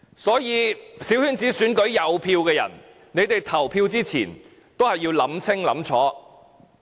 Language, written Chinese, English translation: Cantonese, 所以在小圈子選舉有投票權的人，你們在投票前要好好想清楚。, Therefore those who are privileged with the right to vote in small - circle election please think carefully before casting your ballots